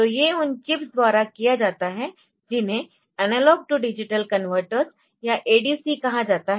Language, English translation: Hindi, So, these are the, these are done by the chips which are known as analog to digital converters or ADC's